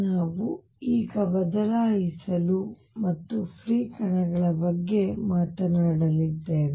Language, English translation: Kannada, We are going to now change and talk about free particles